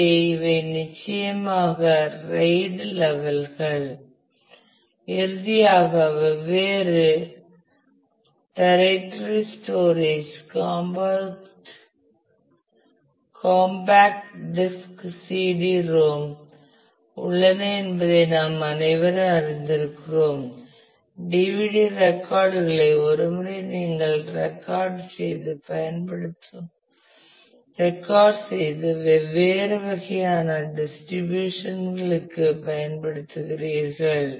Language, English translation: Tamil, And so, these are the RAID levels then of course, finally there are different tertiary storages compact disk CD ROM we all are familiar that DVD the record once versions where you just record and use that particularly for different kind of distribution these